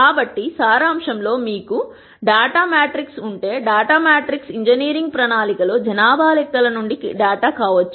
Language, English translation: Telugu, So, in summary if you have a data matrix the data matrix could be data from census in an engineering plan